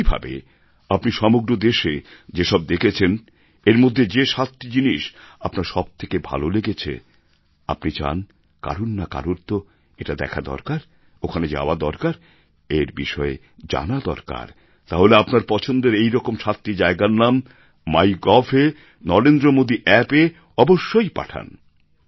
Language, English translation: Bengali, Similarly, whatever you have seen throughout India and whichever seven out of these you liked the best and you wish that someone should see these things, or should go there, should get information about them, then you must send photos and information of seven such tourist spots on Mygov